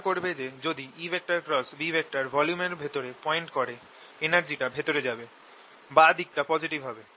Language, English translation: Bengali, notice that if e cross b is pointing into the volume, energy will be going in the left hand side should be positive